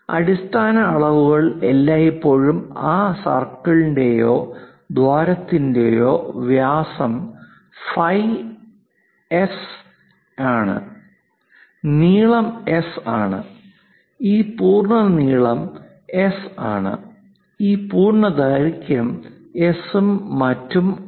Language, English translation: Malayalam, The basic dimensions are always be the diameter of that circle or hole is phi S, the length is S, this length complete length is S, this complete length is S and so on, so things